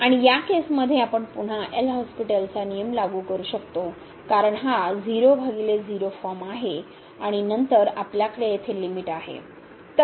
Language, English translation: Marathi, And in this case we can apply again a L’Hospital rule because this is 0 by 0 form and then we have limit here